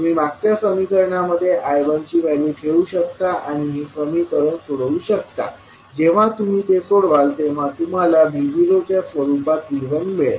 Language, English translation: Marathi, So you can put the value of I 1 in the previous equation and simplify when you simply you will get the value of V 1 in terms of V naught